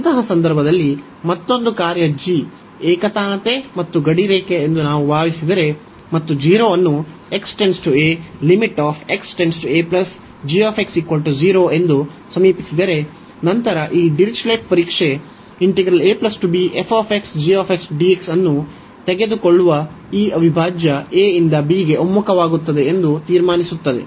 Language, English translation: Kannada, In that case, further if we assume that another function g is monotone and bounded, and approaching to 0 as x approaching to this a and then this Dirichlet’s test concludes that this integral a to b, taking this product f x, g x also converges